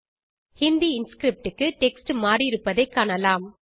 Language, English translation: Tamil, You can see the text has changed to Hindi Inscript